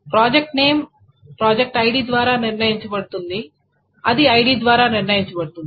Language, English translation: Telugu, So because project name is determined by project ID, which in turn is determined by ID